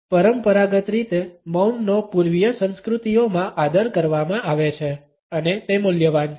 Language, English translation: Gujarati, Conventionally silence is respected in Eastern cultures and it is valued